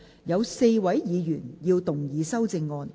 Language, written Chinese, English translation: Cantonese, 有4位議員要動議修正案。, Four Members will move amendments to this motion